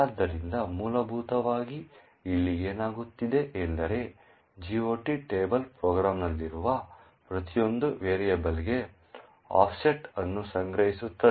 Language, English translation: Kannada, So, essentially what is happening here is the GOT table stores the offset for each and every variable present in the program